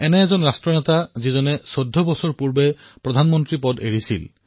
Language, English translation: Assamese, He was a leader who gave up his position as Prime Minister fourteen years ago